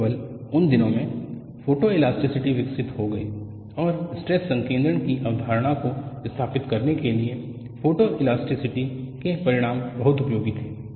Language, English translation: Hindi, Only in those days, photoelasticity got developed and the results from photoelasticity were very useful to establish the concept of stress concentration